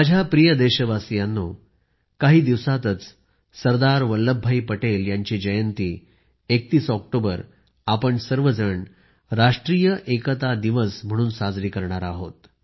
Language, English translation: Marathi, In a few days we will celebrate Sardar Vallabh Bhai Patel's birth anniversary, the 31st of October as 'National Unity Day'